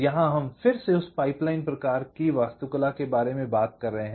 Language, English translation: Hindi, well, here we are again talking about that pipeline kind of an architecture